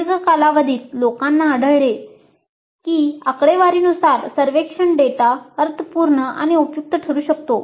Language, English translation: Marathi, But over a long period people have discovered that by and large statistically the survey data can be meaningful and useful